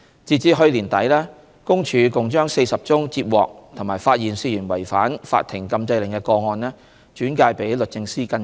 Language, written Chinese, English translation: Cantonese, 截至去年年底，公署共將40宗接獲及發現涉嫌違反法庭禁制令的個案轉介予律政司跟進。, As at 31 December 2019 PCPD has referred 40 cases it had received and found to have allegedly violated the injunction order of the Court to the Department of Justice for follow - up